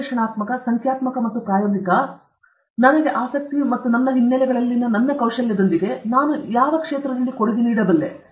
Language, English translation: Kannada, With my skills in analytical, numerical, and experimental, my interest and my background, where is it I can make a contribution